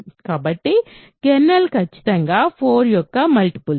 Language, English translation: Telugu, So, kernel is exactly the multiples of 4